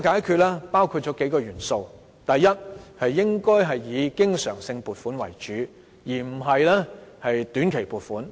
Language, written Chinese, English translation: Cantonese, 這包括數個元素，第一，應該以經常性撥款為主，而不是靠短期撥款。, This includes several factors . First education funding should be in the form of recurrent funding rather than short - term funding